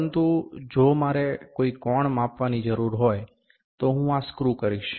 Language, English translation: Gujarati, But, if I need to measure some angle, I will I will screw this